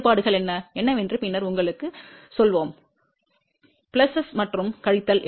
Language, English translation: Tamil, Later on we will tell you what are the differences and what are the pluses and minuses